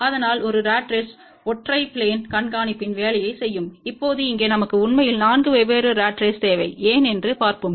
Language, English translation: Tamil, So, one ratrace will do the job of single plane tracking, now here we need actually 4 different ratraces let us see why